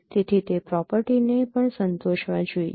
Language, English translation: Gujarati, So it should satisfy that property also